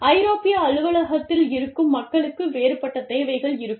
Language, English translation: Tamil, The people, sitting in that office, will have a different set of needs